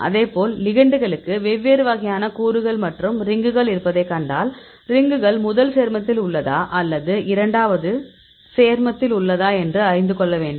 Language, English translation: Tamil, Likewise the ligands; if you see there are different types of elements; say a ring, ring is present in a first compound; yes ring is present a second compound